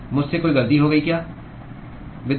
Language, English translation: Hindi, Did I make a mistake